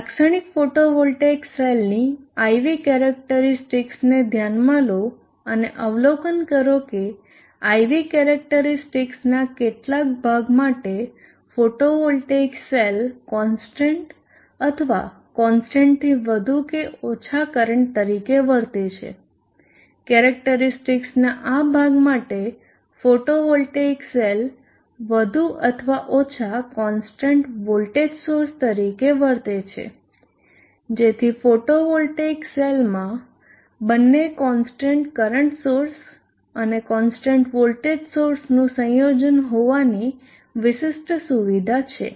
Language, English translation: Gujarati, Consider the IV characteristic of a typical photovoltaic cell observe that for some portion of the IV characteristic the photovoltaic cell behaves as a constant current more or less constant current for this portion of the characteristic the photovoltaic cell would behave like more or less a constant voltage source so the photovoltaic cell has the unique feature of being both a combination of a constant voltage source and the constant current source